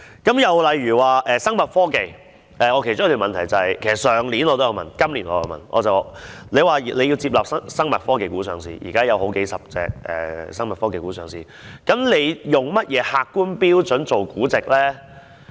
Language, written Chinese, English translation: Cantonese, 又例如聲稱是生物科技股，我其中一項質詢就是——我去年也有提問，今年也有問——當局表示要接納生物科技股上市，現時也有數十種生物科技股上了市，究竟它以甚麼客觀標準來估值呢？, Another example was about those stocks which were claimed to be bio - technology stocks . One of my questions is―I have also asked the same question last year and this year―the authorities have said that they would accept the listing of bio - technology stocks . A dozen of bio - technology companies have been listed in Hong Kong but what exactly are the objective standards for the valuation of these stocks?